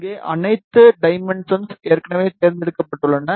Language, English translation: Tamil, Here all the dimensions are already selected